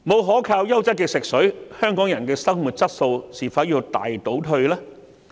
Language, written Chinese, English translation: Cantonese, 沒有優質可靠的食水，香港人的生活質素會否大倒退？, Will the quality of life of Hong Kong people retrograde without a reliable supply of quality drinking water?